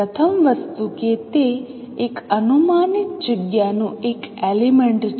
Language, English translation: Gujarati, First thing that it is a element of a projective space